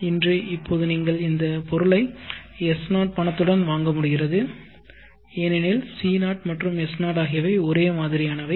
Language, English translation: Tamil, So today now you are able to buy this item with money S0, because the value C0 and value S0 are same